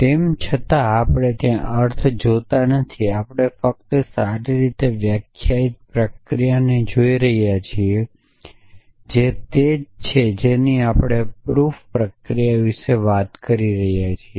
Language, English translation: Gujarati, Though we are not looking at the meaning there we only looking at the well define procedure which is what the proof procedure we are talking about